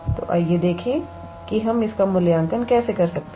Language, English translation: Hindi, So, let us see how we can evaluate this